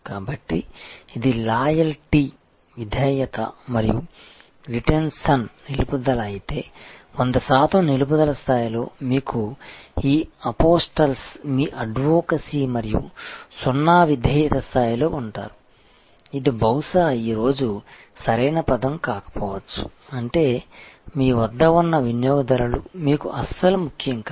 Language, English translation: Telugu, So, there are if this is the loyalty and retention, so at the 100 percent retention level you have this apostles are your advocates and at the zero loyalty level, this is not may be a right terminology today, I mean you have, customers who are not at all important to you